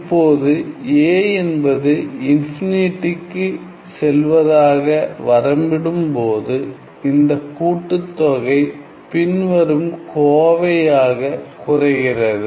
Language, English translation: Tamil, Now, when we take limit a going to infinity this summation reduces to the following expression